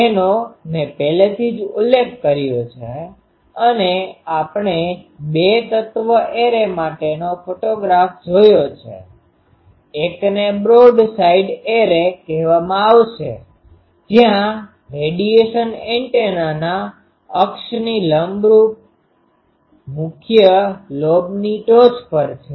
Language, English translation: Gujarati, I have already mentioned we have shown the photograph for 2 element array 1 will be called broad side array where the radiation on major lobes peaks perpendicular to the axis of the antenna